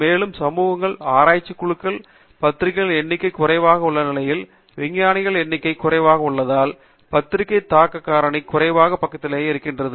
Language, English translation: Tamil, And, in communities research communities where the number of journals are limited, the number of scientists are limited, then the journal impact factor tends to be on the lower side